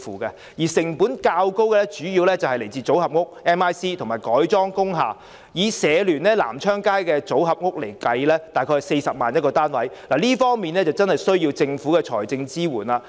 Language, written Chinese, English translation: Cantonese, 至於成本較高的主要是建造組合屋及改裝工廈，以社聯在深水埗南昌街興建的組合屋來計算 ，1 個單位約需40萬元，確實需要政府的財政支援。, Higher - cost alternatives are mainly building modular social housing using MIC and converting industrial buildings . The modular social housing built by HKCSS on Nam Cheong Street Sham Shui Po costs about 400,000 per unit . Financial support by the Government is indeed necessary